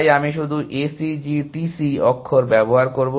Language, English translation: Bengali, So, I will just use the few characters A C G T C